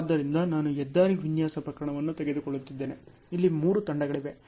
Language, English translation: Kannada, So, I am taking a highway design case ok; there are three teams here